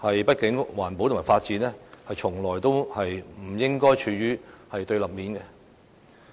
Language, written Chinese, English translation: Cantonese, 畢竟，環保與發展從來不應該處於對立面。, After all environmentalism and development should never be adversary to each other